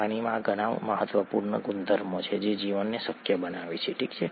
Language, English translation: Gujarati, Water has very many important properties that make life possible, okay